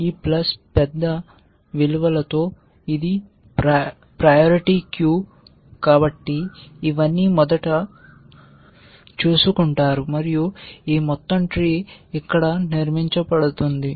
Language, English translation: Telugu, And since this is a priority queue with this plus large values, all this will be taken care of first and this whole tree would be constructed here